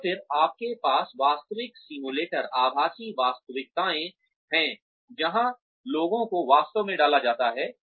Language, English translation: Hindi, And then, you have the actual simulators, virtual realities, where people are actually put in